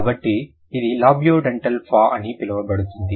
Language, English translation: Telugu, So that is why it will be known as labiodental, fur